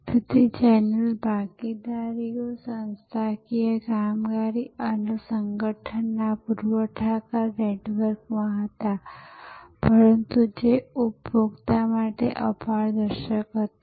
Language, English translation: Gujarati, So, the channel partners, the organizational operations and the organisations suppliers were in a network, but which was sort of opaque to the consumer